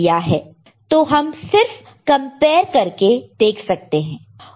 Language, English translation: Hindi, So, we can just compare and see it